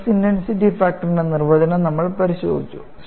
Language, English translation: Malayalam, We have looked at the definition of a stress intensity factor